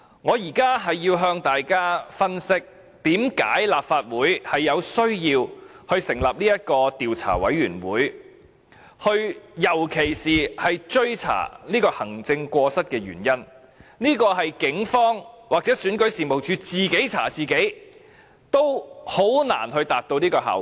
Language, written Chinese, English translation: Cantonese, 我現在要向大家分析，為甚麼立法會需要成立專責委員會，尤其是追查行政過失，這是警方或選舉事務處自己查自己，均難以達到的效果。, Let me give an analysis of why the Legislative Council needs to establish a select committee for the purpose of investigating the incident especially the maladministration involved . This purpose can hardly be achieved by both the Police and the internal investigation of REO